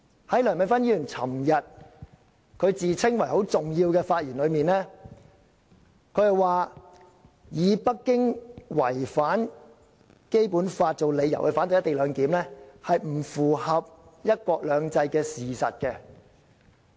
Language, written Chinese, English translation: Cantonese, 在梁美芬議員昨天自稱為很重要的發言中，她說以北京違反《基本法》作為反對"一地兩檢"的理由，並不符合"一國兩制"的事實。, Yesterday when Dr Priscilla LEUNG was delivering her self - proclaimed very important speech she said that opposing the co - location arrangement on the ground that Beijing has contravened the Basic Law was inconsistent with the reality of one country two systems